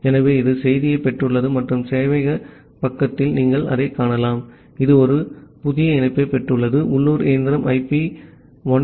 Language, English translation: Tamil, So, it has received the message and at the server side you can see that, it has received a new connection from the local machine the IP is 127